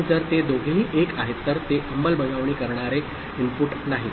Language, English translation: Marathi, And if both of them are 1 1, then it is non enforcing input